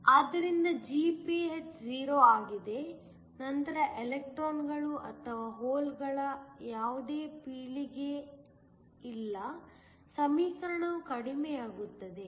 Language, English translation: Kannada, So, that Gph is 0, there is no more generation of electrons or holes then, the equation just reduces